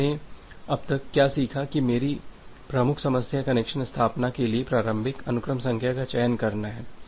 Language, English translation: Hindi, Now, what we have learned till now that my major problem is to select the initial sequence number for connection establishment